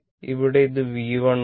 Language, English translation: Malayalam, Here, it is and here it is V 1 right